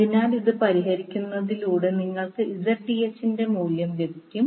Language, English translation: Malayalam, So by solving this you will get the value of Zth